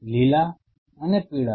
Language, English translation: Gujarati, The green and the yellow ones